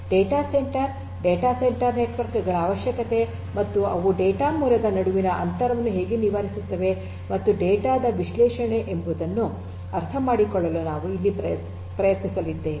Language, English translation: Kannada, So, we are going to try to connect to try to understand the requirement of data centre, data centre networks and how they bridge the gap between the origination of the data and the analysis of the data